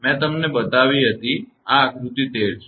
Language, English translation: Gujarati, I have showed you; this is figure 13